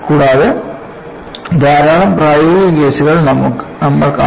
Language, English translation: Malayalam, And, we would see a large number of practical cases